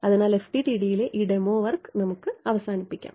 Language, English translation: Malayalam, So, let brings to an end this demo work on FDTD